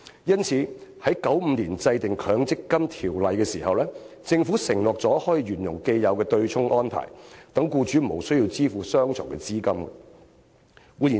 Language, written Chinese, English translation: Cantonese, 因此，在1995年制定《強制性公積金計劃條例》時，政府承諾沿用既有的對沖安排，讓僱主無須雙重供款。, Therefore when the Mandatory Provident Fund Schemes Ordinance was enacted in 1995 the Government promised to maintain the offsetting mechanism so that employers would not have to make double contributions